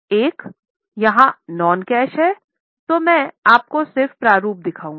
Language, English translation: Hindi, One is if it is non cash, I will just show you the format